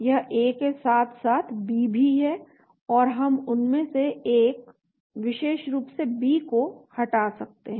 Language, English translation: Hindi, It is got A as well as the B, so we can delete one of them, the B especially